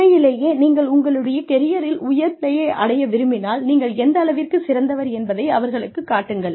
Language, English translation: Tamil, If you really want to reach the peak of your career, show them, how good you are